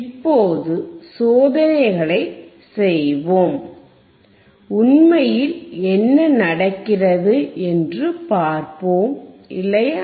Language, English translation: Tamil, Now let us perform the experiments and let us see in reality what happens, right